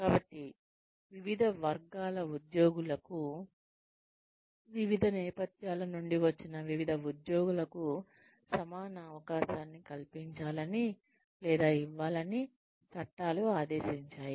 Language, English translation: Telugu, So, laws mandate that, equal opportunity be afforded to, or be given to, various categories of employees, various employees from various backgrounds